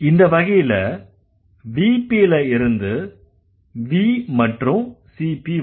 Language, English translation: Tamil, So in case, the VP goes to V and CP